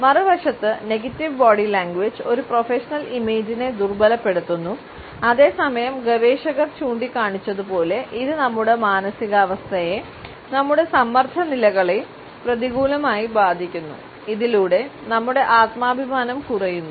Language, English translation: Malayalam, On the other hand negative body language impairs a professional image and at the same time as researchers have pointed, it leaves a negative impact on our mood, on our stress levels, ultimately resulting in the diminishing self esteem